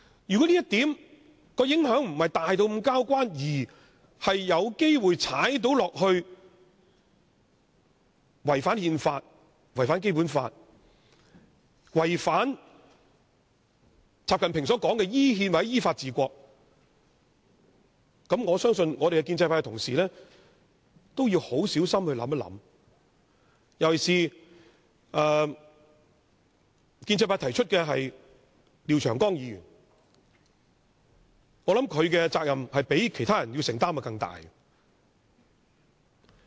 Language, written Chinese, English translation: Cantonese, 如果這項修訂的影響並非那麼大，卻有機會違反憲法、《基本法》，以及習近平說的依憲或依法治國，我相信建制派同事也要很小心考慮，尤其是提出修訂的建制派廖長江議員，我認為他須要承擔的責任較其他人更大。, If the amendment does not matter so much and may contravene the constitution the Basic Law and constitution - based governance or the rule of law mentioned by XI Jinping I believe Honourable colleagues in the pro - establishment camp must give careful consideration to it in particular Mr Martin LIAO of the pro - establishment camp who proposed the amendment as I think he should assume a greater responsibility than the others